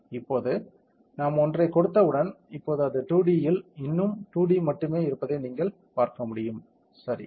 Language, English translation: Tamil, Now, once we have given one, you can see that right now it is only 2D still in the 2D, correct